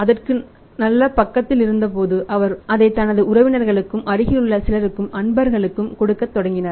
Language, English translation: Tamil, Then when the response was very good he started giving it to his say relatives and some other near and dears